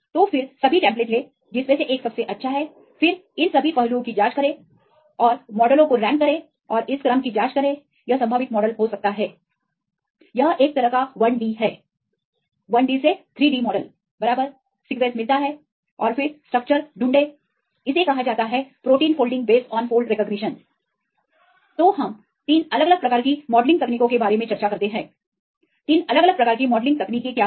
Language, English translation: Hindi, So, then take all the templates then which one has the best one then check all these aspects and rank the models and check for this sequence this could be the probable model this is a kind of 1D, 3D model right get the sequence and then find the structure this is called the protein threading based on these fold recognition